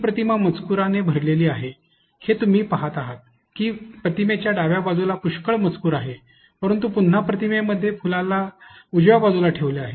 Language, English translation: Marathi, So, as you can see this image is full is full of text, you can see that it has a lot of text on the left side of the image, but again you have the flower being put on the right side of the image